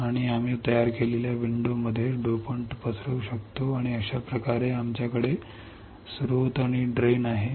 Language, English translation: Marathi, And we can diffuse the dopant in the window created and thus we have the source and drain